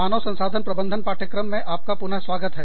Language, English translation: Hindi, Welcome back, to the course on, Human Resource Management